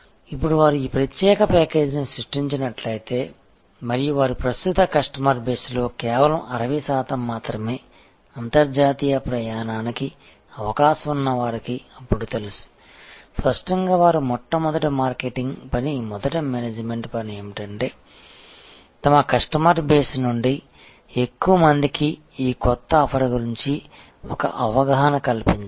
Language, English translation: Telugu, Now, if the create this special package and only 60 percent of their current customer base, who are prone to international travel are aware then; obviously, they are first marketing task first management task is to make more people from their customer base aware about aware of this new offering